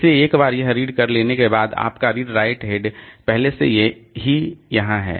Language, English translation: Hindi, So, once this one has been read, your read write head is already here